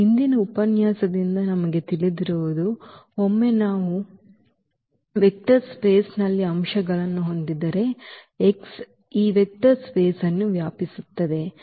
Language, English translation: Kannada, What we know from the previous lecture that once we have the elements in vector space x which span this vector space x